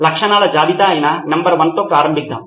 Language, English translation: Telugu, Let’s start with number 1 which is list of features